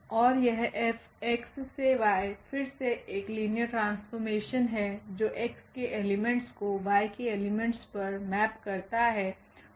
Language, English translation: Hindi, And this let F again be a linear map which maps the elements from X to the elements in Y